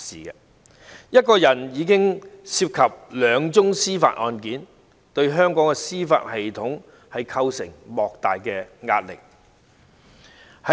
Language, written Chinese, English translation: Cantonese, 單是一個人便已涉及兩宗司法案件，對香港的司法系統構成莫大的壓力。, Each of them is thus involved in two judicial cases which have imposed tremendous pressure on Hong Kongs judicial system